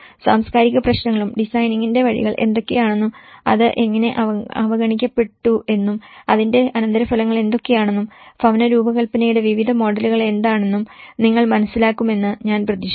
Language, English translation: Malayalam, I hope you understand the cultural issues and what are the ways of designing and how it has been overlooked and as a response what are the consequences of it and what are the various models of designing the housing